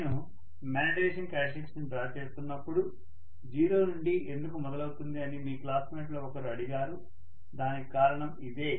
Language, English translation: Telugu, That is the reason why what actually one of your classmate just asked when I was drawing the magnetization characteristics, why it is starting from 0